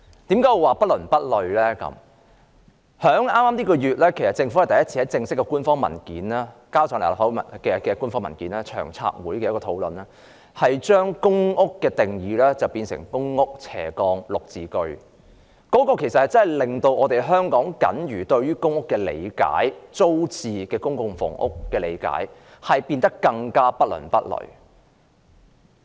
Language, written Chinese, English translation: Cantonese, 政府在本月向立法會提交的首份正式官方文件是有關長遠房屋策略督導委員會的討論，當中把公營房屋的定義變為公屋/綠表置居計劃，這真的令我們對於公屋或租置公共房屋僅餘的理解變得更不倫不類。, The first official paper tabled by the Government to the Legislative Council this month is about discussions relating to the the Long Term Housing Strategy Steering Committee . In this paper the definition of public housing is revised to be public rental housing PRHGreen Form Subsidised Home Ownership Scheme GSH and this really makes PRH or public rental units for sale even weirder in our understanding